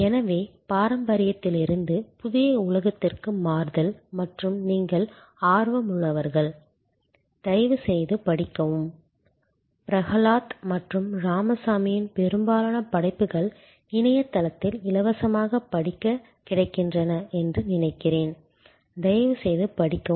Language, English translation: Tamil, So, this transition from the traditional to the new world of value co creation and those of who you are interested, please do read up I think most of the work from Prahalad and Ramaswamy are available on the net for free reading, please do read their work to understand this paradigm shift